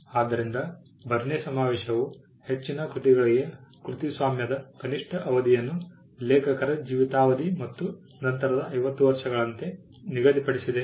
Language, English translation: Kannada, So, the Berne convention fixed the minimum duration of copyright for most works as life of the author plus 50 years